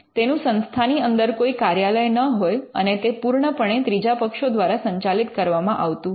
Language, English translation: Gujarati, It does not have any office within the institute, it is completely managed by the third parties